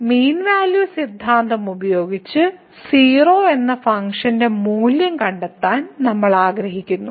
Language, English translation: Malayalam, And, using mean value theorem we want to find the value of the function at